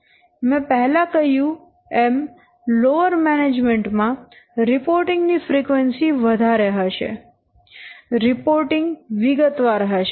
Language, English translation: Gujarati, It will be what if it is a bottom level management, the frequency of reporting is more, the detailed reports will be more